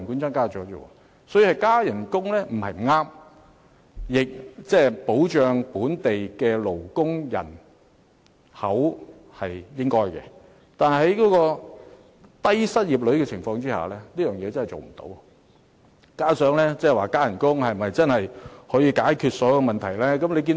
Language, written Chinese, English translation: Cantonese, 所以，增加薪酬不是不對，保障本地勞動人口也是應該的，但在低失業率下，實在無法請到足夠勞工，而增加薪酬是否真的可以解決所有問題亦成疑問。, Hence it is not wrong to increase the pay and it is also right to protect the local labourers . However in the face of low unemployment finding sufficient worker to fill all positions is out of the question and it is also doubtful whether all problems can be solved by just raising the pay